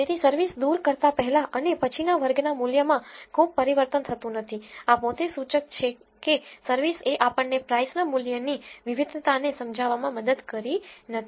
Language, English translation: Gujarati, So, the r squared value before and after removing service is not changed much this itself is an indicator that service is not helping us in explaining the variation in price